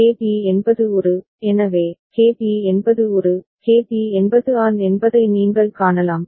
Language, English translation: Tamil, And KB is An, so, KB is An, you can see that KB is An